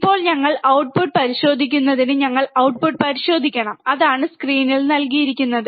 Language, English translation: Malayalam, Now we have to check the output, we have to check the output, that is what is given in the screen